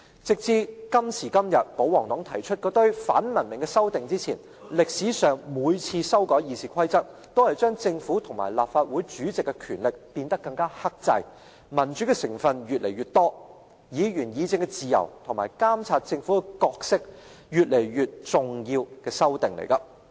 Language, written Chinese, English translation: Cantonese, 直至今時今日，保皇黨提出那些反文明的修訂前，歷史上每次修改《議事規則》，都是將政府與立法會主席的權力變得更克制、民主成分越來越多、議員議政的自由與監察政府的角色越來越重要的修訂。, Before the moving of these uncivilized amendments by the pro - Government camp all amendments to RoP so far have been along the lines of developing a more democratic Legislative Council by restricting the power of the Government and the President on the one hand and putting heavier weight on Members freedom of debate on policies and their role to monitor the Government on the other